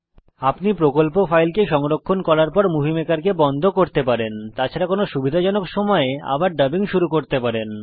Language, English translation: Bengali, You can exit from Movie Maker after saving into the project file and resume dubbing at any future convenient time